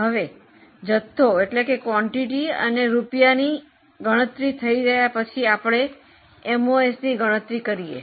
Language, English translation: Gujarati, Now having calculated quantity and amount, go for calculation of MOS